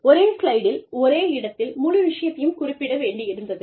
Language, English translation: Tamil, I wanted to get the whole thing, on one slide, in one place